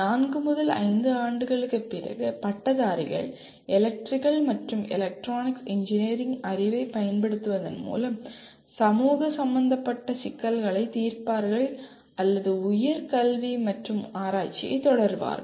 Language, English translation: Tamil, The graduates, graduates after four to five years will be solving problems of social relevance applying the knowledge of Electrical and Electronics Engineering and or pursue higher education and research